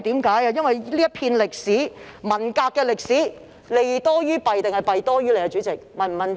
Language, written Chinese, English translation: Cantonese, 主席，這段有關文革的歷史，是"利多於弊"還是"弊多於利"呢？, President did this part of the history of the Cultural Revolution do more good than harm or do more harm than good?